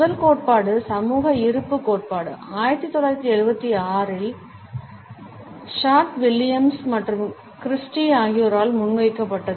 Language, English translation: Tamil, The first theory social presence theory was put forward by Short, Williams and Christy in 1976